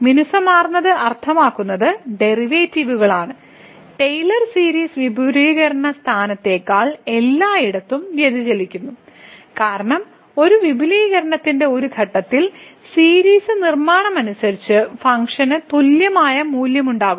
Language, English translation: Malayalam, So, smooth means we have the derivatives of whatever or we lie, but the Taylor series diverges everywhere rather than the point of expansion, because a point of a expansion the series will have the value same as the function as per the construction so